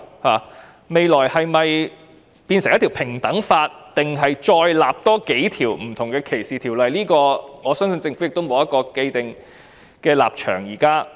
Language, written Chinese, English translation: Cantonese, 政府日後是否訂立平等法，還是另訂數項歧視條例，我相信政府現時沒有一個既定的立場。, I believe that the Government has not taken a position on whether an equality act or several discrimination legislations should be enacted